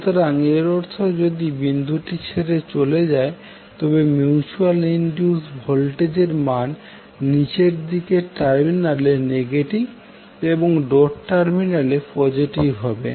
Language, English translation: Bengali, So that means if d it is leaving the dot the value of mutual induced voltage will be negative at the downward terminal and positive at the doted terminal